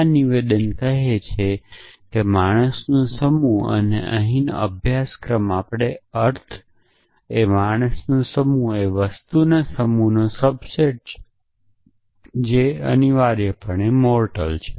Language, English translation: Gujarati, So, this statement is essentially saying that the set of men and here off course we mean set of human beings is the subset of the set of things which have mortal essentially